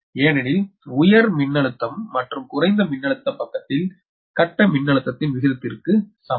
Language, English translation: Tamil, because are the same as the ratio of the phase voltage on the high voltage and low voltage side